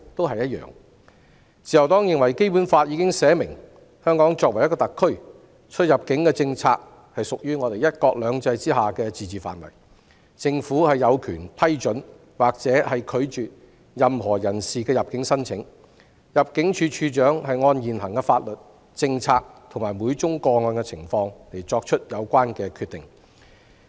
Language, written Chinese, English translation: Cantonese, 自由黨認為，《基本法》已經表明，香港作為一個特區，出入境政策屬於"一國兩制"之下的自治範圍，政府有權批准或拒絕任何人士的入境申請，入境處處長會按現行法律、政策，以及每宗個案的情況而作出有關決定。, In the view of the Liberal Party the Basic Law has clearly provided that immigration policy lies within the scope of autonomy of the Hong Kong Special Administrative Region under one country two systems and the Government has the authority to approve or refuse any persons application for entry . The Director of Immigration will make relevant decisions in accordance with the existing laws policies and the individual circumstances of each application